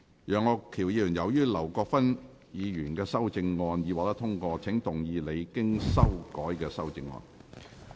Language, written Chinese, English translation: Cantonese, 楊岳橋議員，由於劉國勳議員的修正案已獲得通過，請動議你經修改的修正案。, Mr Alvin YEUNG as the amendment of Mr LAU Kwok - fan has been passed you may now move your revised amendment